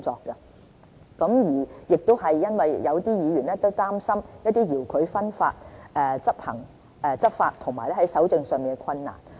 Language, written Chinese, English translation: Cantonese, 這也回應了有議員擔心，對付遙距分發在執法及搜證上的困難。, This step is a response to Members concern over the difficulty of law enforcement and evidence collection against remote distribution